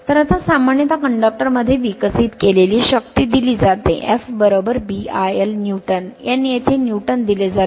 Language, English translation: Marathi, So, now generally the force developed in the conductor is given by that F is equal to B I l Newton, N right, N here it is given Newton